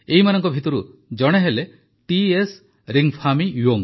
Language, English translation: Odia, One of these is T S Ringphami Young